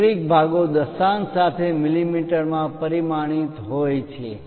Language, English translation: Gujarati, Metric parts are dimensioned in mm with decimals